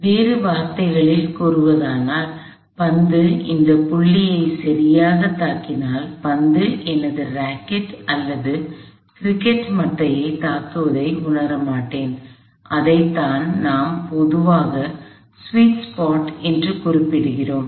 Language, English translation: Tamil, So, In other words, if the ball exactly hit this point, I would not feel the ball hitting my rocket or cricket bat at all; that is what we usually refer to as the sweets part